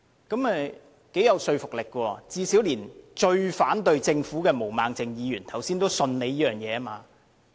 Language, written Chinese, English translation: Cantonese, 這頗有說服力，最少連最反對政府的毛孟靜議員剛才也表示，相信局長這番話。, At least even Ms Claudia MO the most vocal opponent of the Government has also indicated that she believes in what the Secretary has said